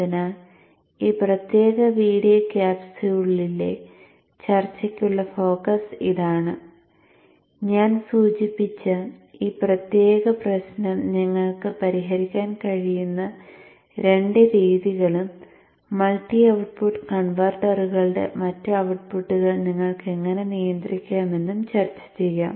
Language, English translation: Malayalam, How to get regulation of them now that is an issue so that is the focus of the discussion in this particular video capsule I will discuss a couple of methods with which you can address this particular issue that I mentioned and how you can regulate the other outputs of the multi output converters